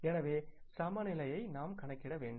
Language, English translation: Tamil, So we have to calculate the balance